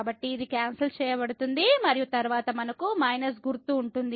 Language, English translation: Telugu, So, this gets cancelled and then we have with minus sign